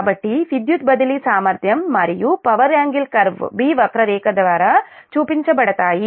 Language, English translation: Telugu, so that means the power transfer capability and the power angle curve is represented by curve b